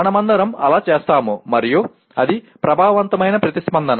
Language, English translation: Telugu, We all do that and that is affective response